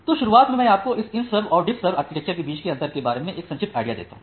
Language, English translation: Hindi, So, in the beginning let me give you a brief idea about the differences between this IntServ and DiffServ architectures